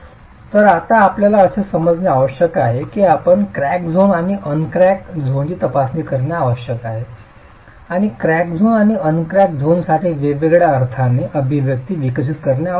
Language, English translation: Marathi, So, now we need to assume, we need to start examining the crack zone and the uncracked zone and look at developing expressions differently for the crack zone and the uncrack zone